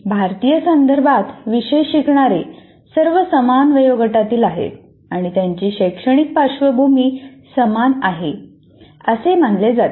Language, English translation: Marathi, So in our Indian context, this is more or less, that is all learners of a course belong to the same age group and they have similar academic background